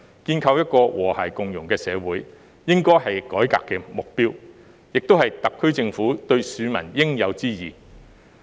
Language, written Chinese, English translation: Cantonese, 建構一個和諧共融的社會，應該是改革的目標，也是特區政府對市民的應有之義。, Building a harmonious society should be the objective of the reform and also the obligation of the SAR Government towards the public